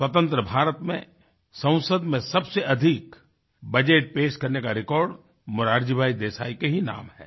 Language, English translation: Hindi, In Independent India, the record of presenting the budget the maximum number of times is held by Morarjibhai Desai